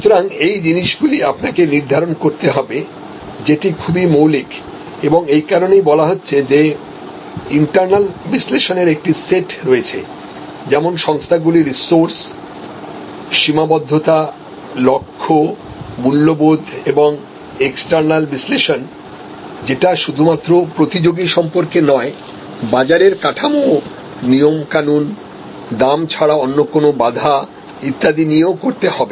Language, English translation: Bengali, So, these things you have to determine, so fundamental; that is why say that there is a set of internal analysis, organizations resources, limitations, goals, values and you have to external analysis not only the competitor, but also the structure of the market the rules and regulations, non price barriers if any and so on